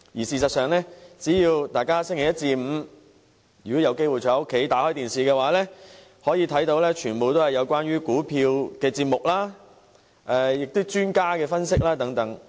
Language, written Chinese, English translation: Cantonese, 事實上，大家只要有機會在星期一至星期五在家收看電視，便會看到全部節目皆與股票有關，以及有專家作出分析等。, Actually if Members have the opportunity to watch television at home from Monday to Friday they can see that all television programmes are about shares - related topics with professional analyses